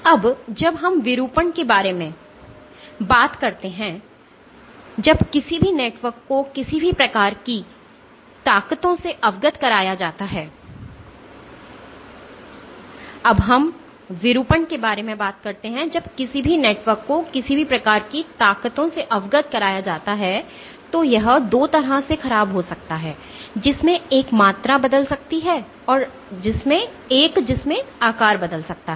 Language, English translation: Hindi, Now when we talk about deformation, when any network is exposed to any kind of forces it can deform in 2 way, one in which the volume can change and one in which the shape can change